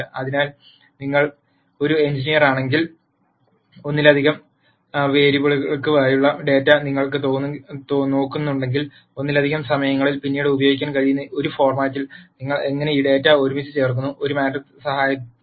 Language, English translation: Malayalam, So, if you are an engineer and you are looking at data for multiple variables, at multiple times, how do you put this data together in a format that can be used later, is what a matrix is helpful for